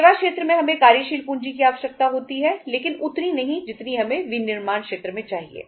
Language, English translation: Hindi, In the services sector we require working capital but not that much as we require in the manufacturing sector